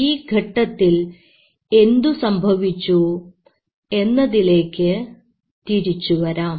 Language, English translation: Malayalam, Now coming back, what happened during this phase